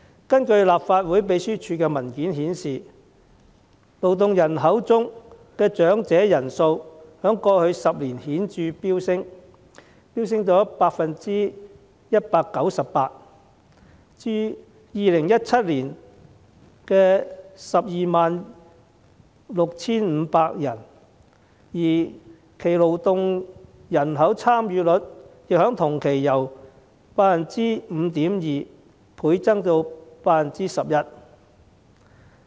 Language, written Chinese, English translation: Cantonese, 根據立法會秘書處的文件顯示，勞動人口中的長者人數在過去10年顯著飆升 198%， 至2017年的 126,500 人，而其勞動人口參與率亦在同期由 5.2% 倍增至 11%。, According to the paper prepared by the Secretariat the number of elderly persons in the labour force has shown a remarkable increase of 198 % over the past decade to 126 500 in 2017 along with a doubling of the respective labour force participation rate from 5.2 % to 11.0 %